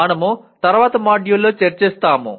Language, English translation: Telugu, That we will attempt at a/in a later module